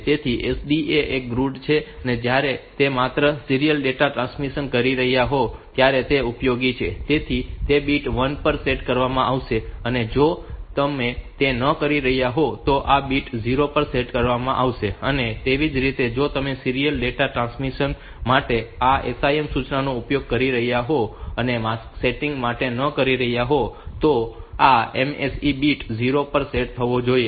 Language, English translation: Gujarati, So, SDE is one grads so that is useful when you are doing only serial data transmission, so then that bit will be set to 1 and if you are not if you are not doing that then this bit will be set to 0, similarly if you are using this SIM instruction for serial data transmission and not for mask setting then this MSE bit should be set to 0, so that if this MSE bit is 0 then this mask setting does not have any meaning, so then this then we can use it for serial data transmission by setting this SDE is the line to 1 and if you really want that this mask bit will be set mask bit will be set then we should make this MSE bit 1 and then this pattern will be set to the mask flip flops of the interrupt